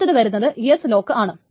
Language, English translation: Malayalam, Then there is an S lock